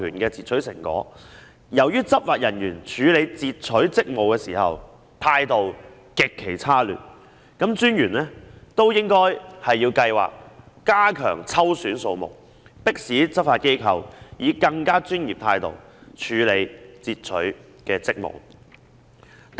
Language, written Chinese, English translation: Cantonese, 由於執法人員處理截取職務時，態度極其差劣，專員應該提高抽選數目，迫使執法機構以更專業的態度執行截取職務。, Given the extremely bad attitude of the law enforcement officers in the execution of their interception duties the Commissioner should raise the number of selection so as to urge the law enforcement agencies to perform interception duties in a more professional manner